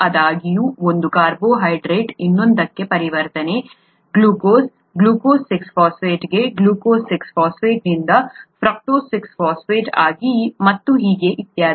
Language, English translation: Kannada, However, the conversion from one carbohydrate to another, glucose to glucose 6 phosphate, glucose 6 phosphate to fructose 6 phosphate and so on so forth